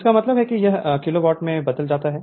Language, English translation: Hindi, So, that means it is converted kilo watt